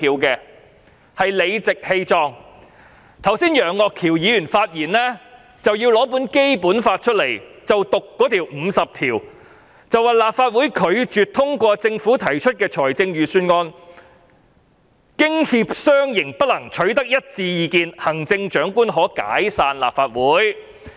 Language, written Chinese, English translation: Cantonese, 楊岳橋議員剛才發言時讀出《基本法》第五十條，說立法會拒絕通過政府提出的預算案，經協商仍不能取得一致意見，行政長官可解散立法會。, When Mr Alvin YEUNG spoke earlier he read out Article 50 of the Basic Law which provides that if the Legislative Council refuses to pass a budget introduced by the Government and if consensus still cannot be reached after consultations the Chief Executive may dissolve the Legislative Council